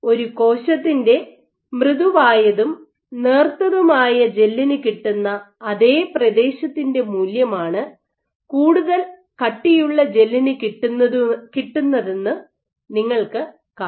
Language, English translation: Malayalam, So, what you observe is for the same value of area a soft and thin gel appears to the cell it appears that a much thicker gel, soft thin gel is equivalent to much thick stiffer gel